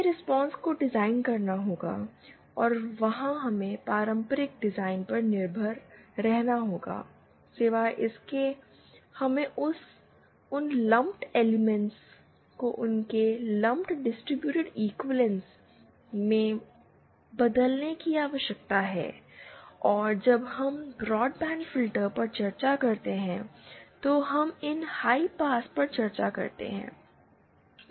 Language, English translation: Hindi, There we have to design the response and there we have to rely on the traditional design philosophies except that we also need to convert those lumped elements to their distributed equivalence and that we shall see while we discuss this high pass while we discuss the broadband filters